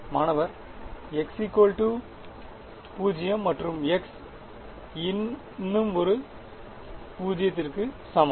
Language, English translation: Tamil, x equal to 0 and x equal to one more 0